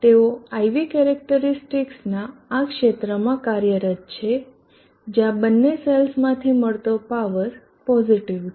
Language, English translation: Gujarati, They are operating in this region of the IV characteristics where power from both the cells are positive